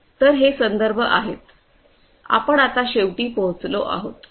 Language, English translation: Marathi, So, these are these references and finally, we come to an end